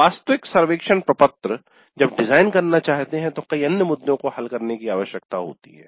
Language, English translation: Hindi, The actual survey form when we want to design, many other issues need to be resolved